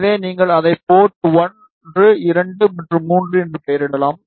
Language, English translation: Tamil, So, you can name it as port 1, 2 and 3